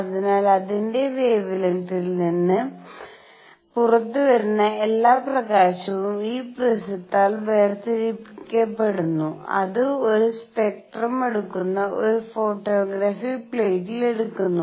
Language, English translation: Malayalam, So, all the light that is coming out its wavelengths are separated by this prism and that is taken on a photographic plate that is how a spectrum is taken